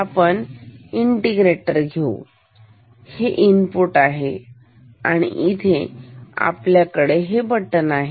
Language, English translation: Marathi, We will take the integrator, this is the input and we will have a switch here